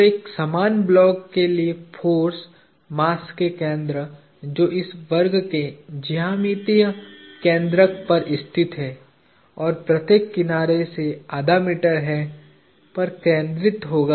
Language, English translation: Hindi, So, for a uniform block the forces are the center of mass is located at the geometric centroid of this square, which is half a meter from each of the sides